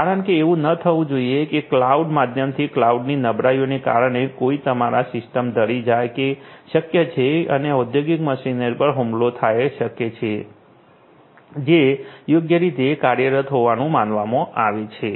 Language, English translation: Gujarati, Because it should not happen that there is some sneaking in that happens through the cloud due to some cloud vulnerability and there is some attack on the industrial machinery that is supposed to operate you know properly